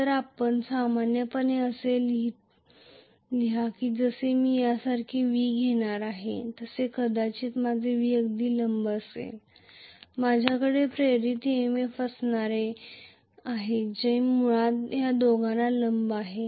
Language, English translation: Marathi, So, we normally, write as though if I am going to have v like this may be I am going to have my v exactly perpendicular to this I am going to have the induced EMF which is perpendicular to both of them basically that is how it is going to be